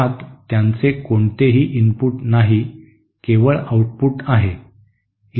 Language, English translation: Marathi, In that they have no input, only output